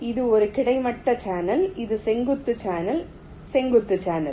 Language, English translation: Tamil, this is a vertical channel, vertical channel